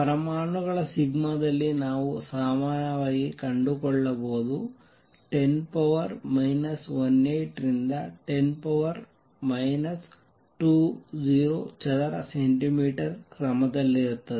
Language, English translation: Kannada, What we find usually in atoms sigma is of the order of 10 raise to minus 18 to 10 raise to minus 20 centimeter square